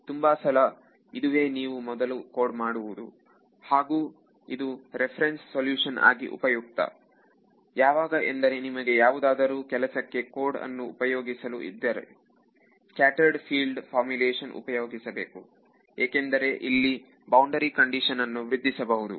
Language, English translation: Kannada, So, many many times that is the first thing you would code and that is useful like as a reference solution then if you want to actually use your code for some serious work it is better to switch to scattered field formulation because then you can keep improving your boundary condition right